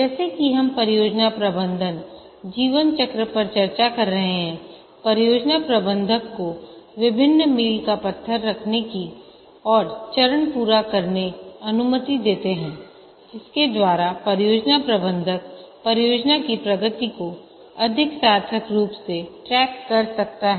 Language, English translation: Hindi, As we are discussing, the project management lifecycle allows the project manager to have various milestones and stage completion by which the project manager can track the progress of the project more meaningfully